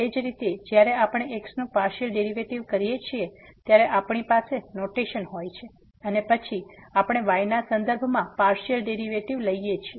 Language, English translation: Gujarati, Similarly, we have the notation when we take the partial derivative of and then we are taking the partial derivative with respect to